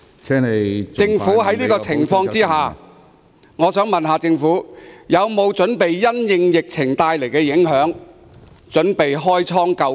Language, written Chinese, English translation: Cantonese, 在這種情況下，政府有否準備因應疫情造成的影響開倉救貧。, Under such circumstances has the Government planned to help the poor with public money in view of the impacts of the virus outbreak?